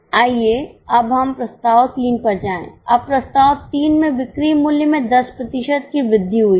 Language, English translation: Hindi, Now in Proposal 3 there is an increase of selling price by 10%